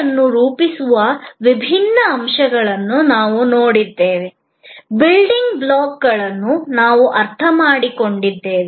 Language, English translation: Kannada, We have looked at different elements that constitute a service, we understood the building blocks